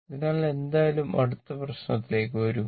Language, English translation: Malayalam, So, anyway come to the next problem